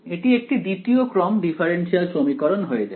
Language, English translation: Bengali, This looks like a second order differential equation right